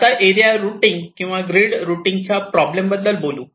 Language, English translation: Marathi, ok, so let us now come to the problem of area routing or grid routing